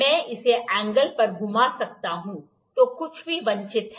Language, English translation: Hindi, I can rotate this to the angle, whatever is desired